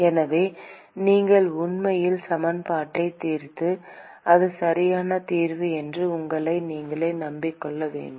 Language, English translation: Tamil, So, you should actually solve the equation and convince yourself that this is the correct solution